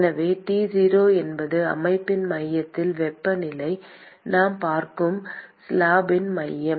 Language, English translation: Tamil, So, T 0 is the temperature at the centre of the system centre of the slab that we are looking at